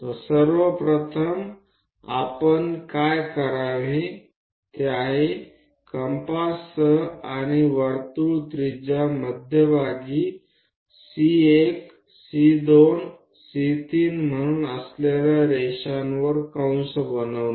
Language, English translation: Marathi, So, first of all what we have to do is with compass and circle radius make arcs on the lines with centre as C1 C2 C3 and so on